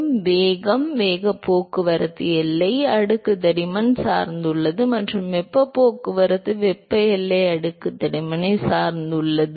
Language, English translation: Tamil, So, the momentum, momentum transport depends upon the boundary layer thickness, and the heat transport depends upon the thermal boundary layer thickness